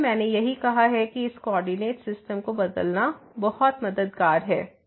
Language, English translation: Hindi, So, that that is what I said that thus changing the coordinate system is very helpful